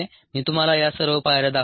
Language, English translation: Marathi, i have shown you all these steps